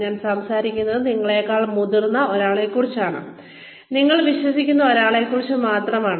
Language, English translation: Malayalam, I am only talking about, somebody senior to you, who you trust